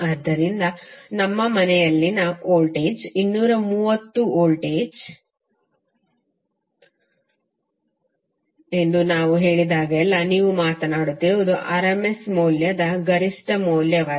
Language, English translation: Kannada, So whenever we say that the voltage in our house is 230 volts it implies that you are talking about the rms value not the peak value